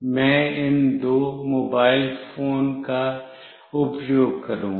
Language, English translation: Hindi, I will be using these two mobile phones